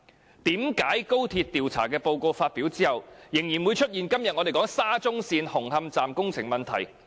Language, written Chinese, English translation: Cantonese, 為何在高鐵調查報告發表後，仍然會出現我們今天討論的沙中線紅磡站工程問題？, How come the SCL Hung Hom Station construction problem that we discuss today still arose after the XRL investigation report was published?